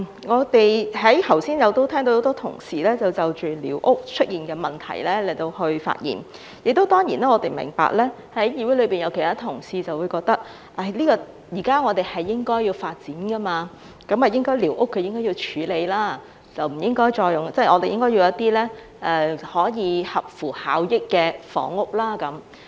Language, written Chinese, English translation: Cantonese, 我剛才聽到很多同事就着寮屋出現的問題發言，當然我們明白，議會內會有其他同事認為，現在社會應該要發展，寮屋是應該處理的，應該興建一些合乎效益的房屋。, I just heard many colleagues speak about the issues relating to squatter structures . We naturally understand that some colleagues in this Council share the opinion that society needs to develop and squatter structures should be dealt with so that some cost - effective housing can be constructed